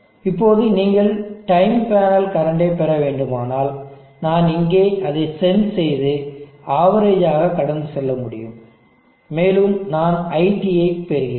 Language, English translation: Tamil, Now if you have to get the time panel current, I can sense here and pass it through an average and I will get IT